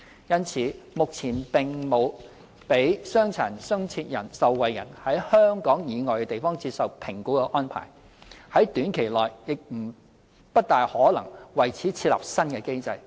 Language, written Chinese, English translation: Cantonese, 因此，目前並沒有讓傷殘津貼受惠人在香港以外地方接受評估的安排，在短期內亦不大可能為此設立新機制。, There is therefore no arrangement for DA recipients to receive medical assessments outside Hong Kong and it is unlikely that such a mechanism will be established in near future